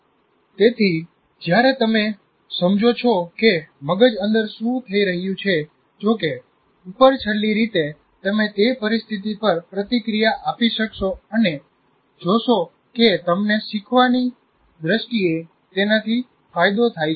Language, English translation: Gujarati, So when you understand what is happening inside, however superficially, you will be able to react to that situation and see that you benefit from that in terms of learning